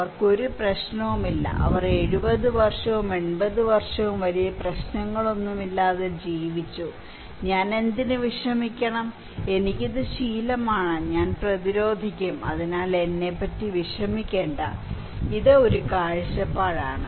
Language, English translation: Malayalam, They did not have any problem, they lived 70 years, 80 years without any much issue, why should I bother, I am used to it, I become resilient so, do not worry about me, oh, this is one perspective